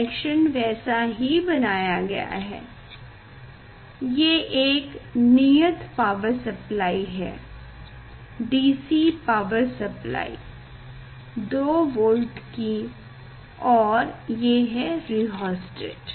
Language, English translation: Hindi, this is the constant power supply, DC power supply 2 volt and this is the rheostat